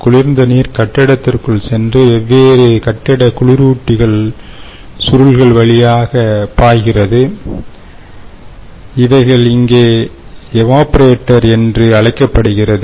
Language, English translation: Tamil, so, chilled water, typically what happens is it goes into the building and flows through these different building cooling coils, as they what, what they are calling here, which is typically the, what we called